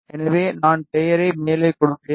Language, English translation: Tamil, So, maybe I will just give the name as top